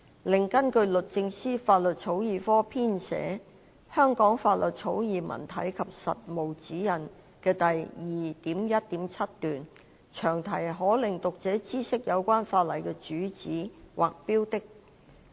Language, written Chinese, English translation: Cantonese, 另外，根據律政司法律草擬科編寫的《香港法律草擬文體及實務指引》第 2.1.7 段，詳題可令讀者知悉有關法例的主旨或標的。, In addition according to paragraph 2.17 of Drafting Legislation in Hong Kong―A Guide to Styles and Practices compiled by the Law Drafting Division of the Department of Justice the long title puts the reader on notice as to the purpose or subject of the legislation